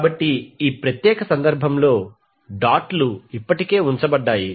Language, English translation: Telugu, So now in this particular case the dots are already placed